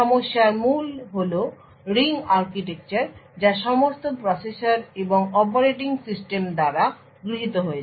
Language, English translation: Bengali, The heart of the problem is the ring architecture that is adopted by all processors and operating systems